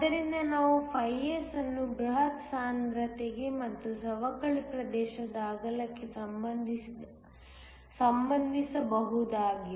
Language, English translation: Kannada, So, we can relate S to the bulk concentration and also the width of depletion region